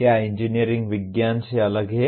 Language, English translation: Hindi, Is engineering different from science